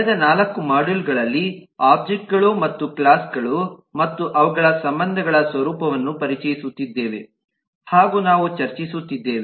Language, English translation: Kannada, over the last 4 modules we have been discussing, introducing about the nature of objects and classes and their relationships